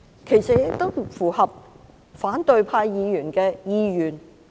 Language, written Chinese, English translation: Cantonese, 其實它亦符合反對派議員的意願。, In fact it is in line with the wishes of opposition Members